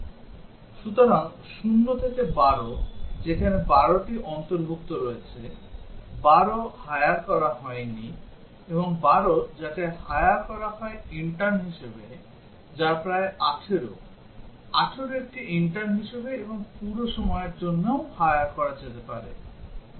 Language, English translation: Bengali, So, 0 to 12, so is 12 included here, is 12 not hired, and is 12 hired is a intern, what about 18, can 18 be hired as an intern and also as a full time, what about 65